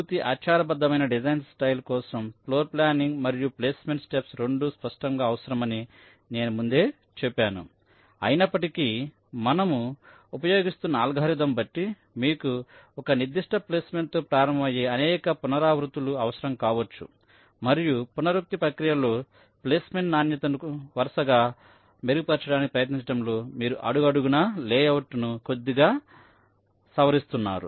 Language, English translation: Telugu, i mentioned earlier also that explicitly you require both the floorplanning and the placement steps, that, however, depending on the algorithm that we are using, you may need several iterations, where you may start with a particular placement and you try to successively improve the quality of the placement in an iterative process, for a step